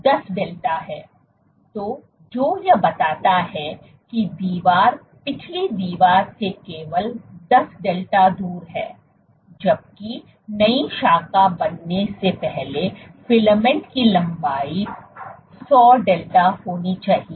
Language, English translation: Hindi, So, what this suggests is that the wall is only 10 delta away from the back wall, while it takes the filament has to be 100 delta in length before a new branch can form ok